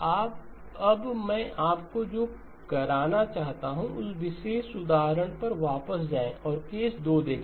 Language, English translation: Hindi, So now what I would like you to do is go back to that particular example and look at case 2